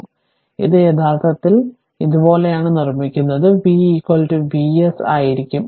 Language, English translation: Malayalam, So, this is actually just I am making it like this, and v will be is equal to V s